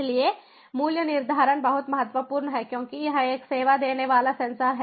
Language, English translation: Hindi, so pricing is very much important because its a service offering